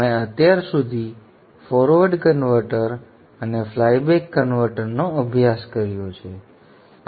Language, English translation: Gujarati, We have studied till now the forward converter and the flyback converter in the isolated class